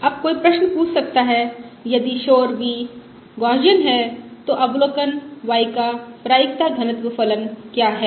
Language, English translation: Hindi, Now one can ask the question: if the noise v is Gaussian, what is the Probability Density Function of the observation y